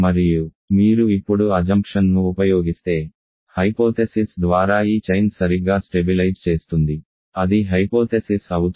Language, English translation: Telugu, And if you now use the assumption, by hypothesis this chain stabilizes right that is the hypothesis